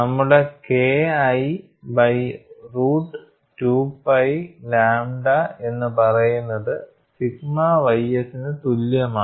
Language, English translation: Malayalam, So, I get K 1 by root of 2 pi lambda as root of 3 sigma ys